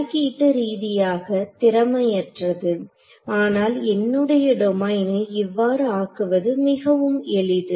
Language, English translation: Tamil, So, the computationally inefficient, but easier thing to do is to make my domain like this